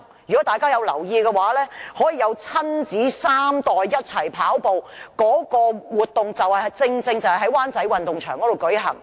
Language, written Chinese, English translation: Cantonese, 如果大家有留意，可供親子三代一同跑步的活動，正正是在灣仔運動場舉行。, As we notice a race for three generations of the same family was precisely held in the Wan Chai Sports Ground